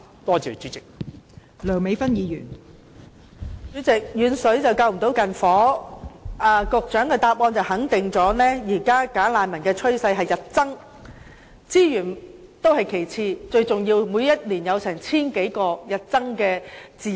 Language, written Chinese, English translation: Cantonese, 代理主席，有謂"遠水不能救近火"，局長的答覆肯定了現時"假難民"有日增趨勢，資源問題是其次，最重要是他們每年涉及千多宗案件，影響治安。, Deputy President as the saying goes distant water cannot put out a nearby fire . The reply of the Secretary confirmed that there has been a rising trend in the number of bogus refugees . The resources issue aside most importantly they are involved in more than a thousand cases each year hence affecting law and order